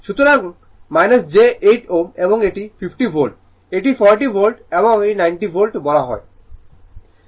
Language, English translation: Bengali, So, minus j 8 ohm and it is 50 volt it is 40 volt and it is your what you call 90 volt